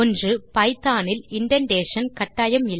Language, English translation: Tamil, Indentation is essential in python